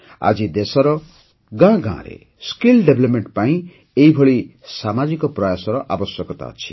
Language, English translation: Odia, Today, such collective efforts are needed for skill development in every village of the country